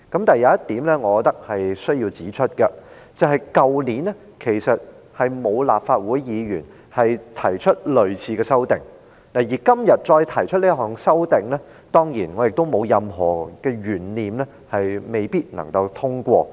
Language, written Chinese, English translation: Cantonese, 但是，我要指出一點，去年並沒有立法會議員提出類似的修正案，而今天再提出這項修正案，我當然亦沒有任何懸念，修正案不會被通過。, Having said that I wish to raise the point that while no Member of the Legislative Council proposed any similar amendment last year I am sure that this one proposed again today will not be passed either